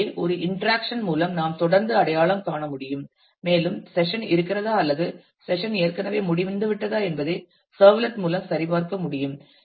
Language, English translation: Tamil, So, that through an interaction I can continued to be identified and the servlet can check whether the session is on or the session is already over